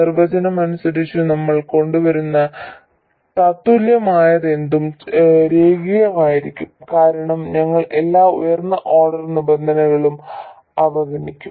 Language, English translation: Malayalam, And by definition whatever equivalent we come up with will be linear because we will be neglecting all the higher order terms